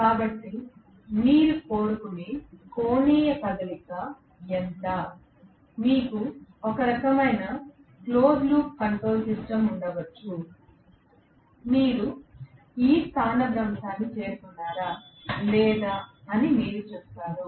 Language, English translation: Telugu, So, how much is the angular movement you want to have, you might have some kind of a close loop control system, you will say whether you have reach this much of displacement or not